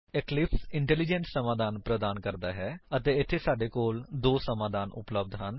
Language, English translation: Punjabi, Eclipse offers intelligent fixes and we have 2 fixes available here